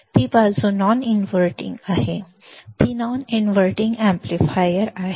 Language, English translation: Marathi, That side is non inverting, it is a non inverting amplifier